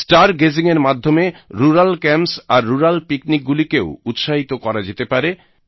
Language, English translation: Bengali, Star gazing can also encourage rural camps and rural picnics